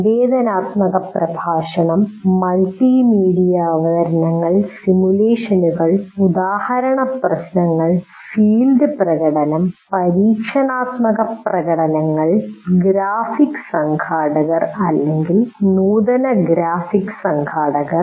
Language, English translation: Malayalam, Interactive lecture, multimedia presentations, simulations, example problems, field demonstration, experimental demonstrations, the graphic organizers or advanced graphic organizers